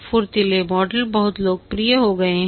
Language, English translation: Hindi, The agile models have become very popular